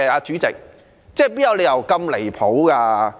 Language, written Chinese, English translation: Cantonese, 主席，哪有理由這樣"離譜"的？, President how can this be so outrageous?